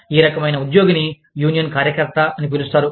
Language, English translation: Telugu, This kind of an employee, is known as a, union steward